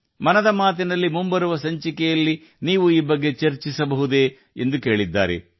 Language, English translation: Kannada, She's also asked if you could discuss this in the upcoming episode of 'Mann Ki Baat'